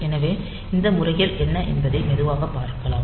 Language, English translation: Tamil, So, we will see what are these modes slowly